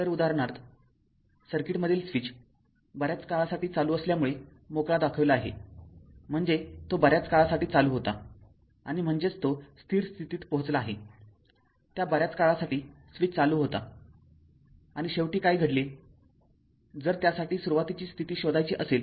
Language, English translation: Marathi, So, for example you take this example that your that switch in the your switch in the circuit, in shown free as being closed for a long time long time means, that it was a no it was closed it was right and that means, it has reached to steady state that long time switch was closed right and finally what happened if it is your you have to find out the initial condition for that right